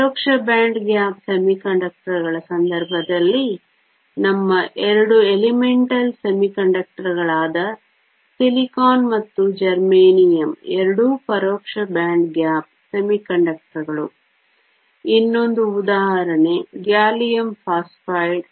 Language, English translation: Kannada, In the case of indirect band gap semiconductors, silicon and germanium which are our two elemental semiconductors are both indirect band gap semiconductors, another example gallium phosphide